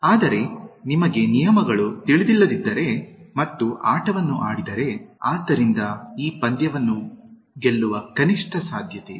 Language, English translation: Kannada, But, if you do not know the rules and play the game, so there is minimal possibility of winning this game